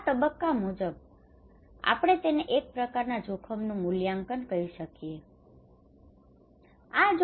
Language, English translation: Gujarati, This phase, according to that, we can call a kind of risk appraisal